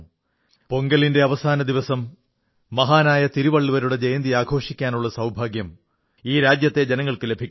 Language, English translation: Malayalam, The countrymen have the proud privilege to celebrate the last day of Pongal as the birth anniversary of the great Tiruvalluvar